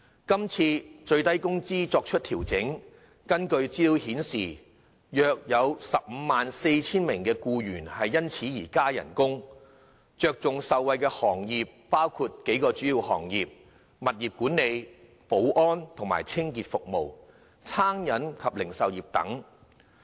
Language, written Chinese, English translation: Cantonese, 今次法定最低工資水平作出調整，根據資料顯示，約有 154,000 名僱員因而獲加薪，重點受惠的行業主要包括：物業管理、保安及清潔服務、餐飲及零售業等。, The adjustment to SMW rate this time according to information will bring pay rises to approximately 154 000 employees . The trades and industries that will significantly benefit from it mainly include property management security and cleaning services and catering and retail